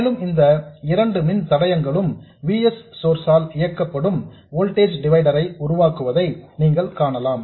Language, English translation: Tamil, And you can see that these two resistors form a voltage divider driven by the source VS